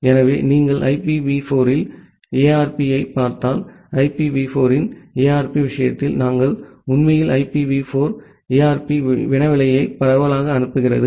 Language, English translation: Tamil, So, if you look into the ARP in IPv4, in case of ARP of IPv4, we actually broad cast the IPv4 ARP query